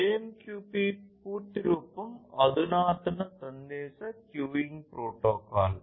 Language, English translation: Telugu, So, AMQP full form is Advanced Message Queuing Protocol